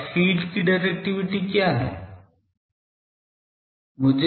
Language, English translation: Hindi, Now, what is directivity of the feed